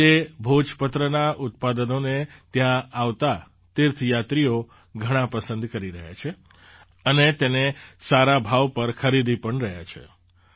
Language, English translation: Gujarati, Today, the products of Bhojpatra are very much liked by the pilgrims coming here and are also buying it at good prices